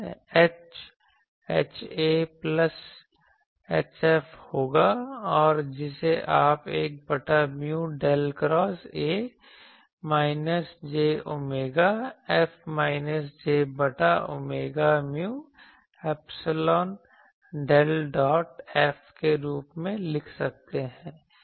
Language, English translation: Hindi, So, H will be H A plus H F and that you can write as 1 by mu del cross A minus j omega F minus j by omega mu epsilon del del dot F ok